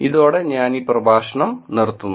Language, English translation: Malayalam, With this, I will stop this lecture